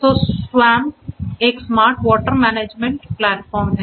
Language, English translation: Hindi, So, the SWAMP is a Smart Water Management Platform